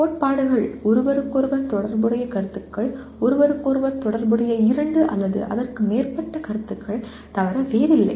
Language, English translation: Tamil, Principles are nothing but concepts related to each other, two or more concepts related to each other